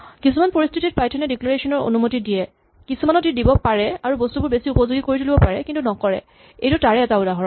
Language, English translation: Assamese, There are situations in which Python allows declarations, but there are many other things where it could allow declarations and make things more usable, but it does not and this is one example